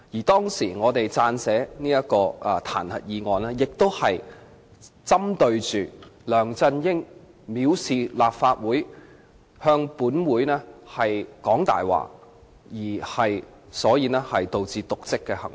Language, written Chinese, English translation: Cantonese, 當時我們撰寫彈劾議案，亦是針對梁振英藐視立法會、向立法會說謊而導致瀆職的行為。, The impeachment motion written by us back then was also targeted at LEUNG Chun - yings contempt of the Legislative Council and his dereliction of duty in lying to the Legislative Council